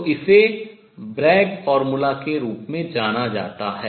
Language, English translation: Hindi, So, this is known as Bragg formula